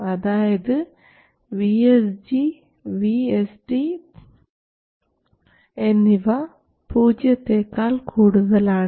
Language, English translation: Malayalam, So, we have VSG over here and VSD over there